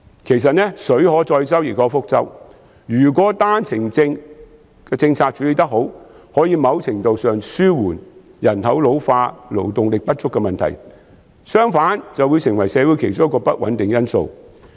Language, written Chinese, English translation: Cantonese, 其實水能載舟，亦能覆舟，如果單程證政策處理得好，可以某程度上紓緩人口老化、勞動力不足的問題，相反，便會成為社會其中一個不穩定因素。, If properly implemented the OWP policy may mitigate to a certain extent the problems of population ageing and labour shortage otherwise it will become one of the destabilizing factors in society